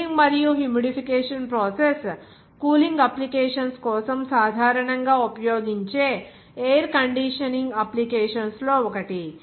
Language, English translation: Telugu, The cooling and humidification process is one of the most commonly used air conditioning applications for cooling purposes